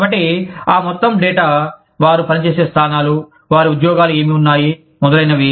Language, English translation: Telugu, So, all that data, the positions, they have worked in, what their jobs have entailed, etcetera